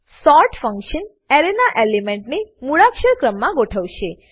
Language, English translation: Gujarati, sort function will sort the elements of an Array in alphabetical order